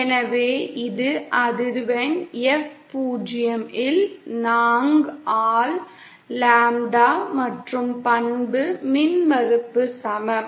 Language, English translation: Tamil, So this is lambda by 4 at frequency F 0 and the characteristic impedance is equal to